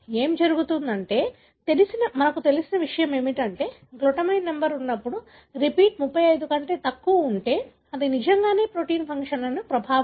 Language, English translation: Telugu, So, what happens is that, what is known is that, when the glutamine number, the repeat, if it is below 35, it really does not affect the protein functions